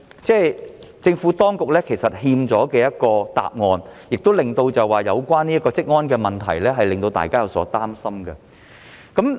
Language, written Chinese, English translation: Cantonese, 政府當局就此尚欠一個交代，有關的職安問題亦令到大家有所擔心。, The Administration has yet to give an explanation in this regard . Besides the issue of occupational safety is also a cause for public concern